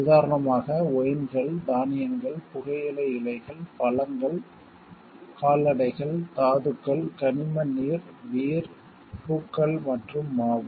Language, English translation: Tamil, For example, wines, grains, tobacco leaf, fruit, cattle, minerals, mineral waters, beers, flowers and flower